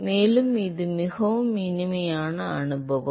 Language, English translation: Tamil, And it is really a very pleasant experience alright